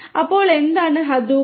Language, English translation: Malayalam, So, what is Hadoop